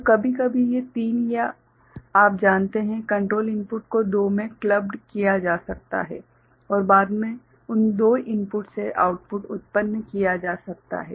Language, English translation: Hindi, So, sometimes these three or you know, control inputs can be clubbed into two and all and subsequent output can be generated from those two inputs